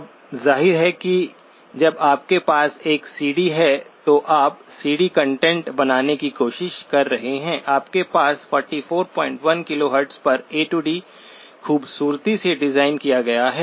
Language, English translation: Hindi, Now obviously when you have a CD, you are trying to create CD content, you have an A to D beautifully designed at 44